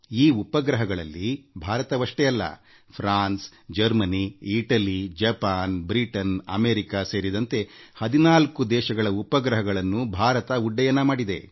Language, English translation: Kannada, ' And besides India, these satellites are of France, Germany, Italy, Japan, Britain and America, nearly 14 such countries